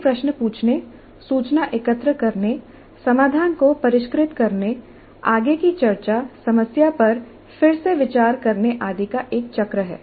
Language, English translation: Hindi, So it is a cycle of asking questions, information gathering, refining the solution, further discussion, revisiting the problem and so on